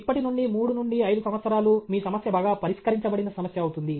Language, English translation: Telugu, 3 to 5 years down the line, your problem will be well settled problem